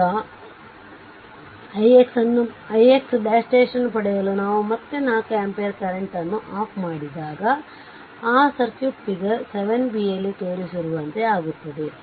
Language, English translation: Kannada, Now, to obtain i x double dash again you turn off the 4 ampere current source we have seen so, that circuit becomes that shown in figure 7 b that also we have shown